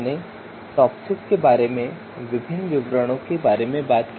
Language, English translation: Hindi, So we talked about you know different details about TOPSIS